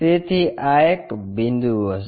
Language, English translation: Gujarati, So, this will be our a point